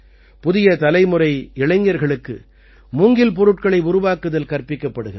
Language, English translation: Tamil, The youth of the new generation are also taught to make bamboo products